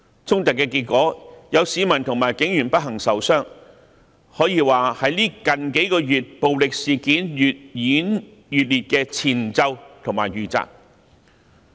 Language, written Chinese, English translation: Cantonese, 衝突的結果是有市民及警員不幸受傷，可說是最近數月暴力事件越演越烈的前奏及預習。, The clash which unfortunately resulted in injuries of civilians and police officers can be regarded as a prelude or a rehearsal of a series of more intense violent incidents that happened in recent months